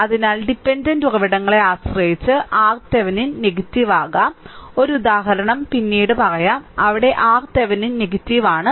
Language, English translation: Malayalam, So, dependent with dependent sources, R Thevenin may become negative also; one example is there later right, there where R Thevenin is negative